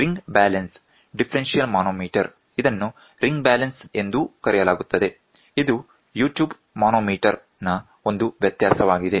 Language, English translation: Kannada, The ring balance differential manometer, which is also known as ring balance is a variation of U tube manometer